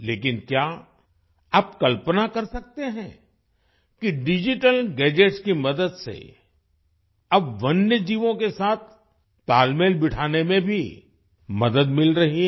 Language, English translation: Hindi, But can you imagine that with the help of digital gadgets, we are now getting help in creating a balance with wild animals